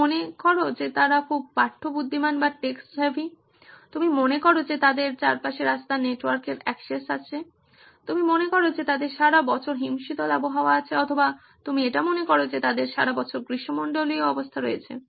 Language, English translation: Bengali, You think they are very text savvy, you think they have access to road network around them, you think they have icy weather year round or you think they have tropical conditions year round